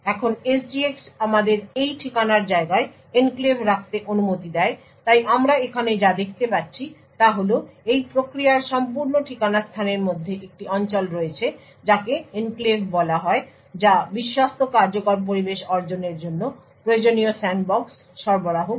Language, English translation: Bengali, Now what SGX permits us to do is to have enclaves in this address space so what we see over here is that within this entire address space of the process there is one region which is called the enclave which provides the necessary sandbox to achieve the Trusted Execution Environment